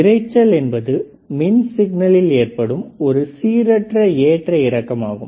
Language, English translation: Tamil, So, noise when you talk about noise it is a random fluctuation in an electrical signal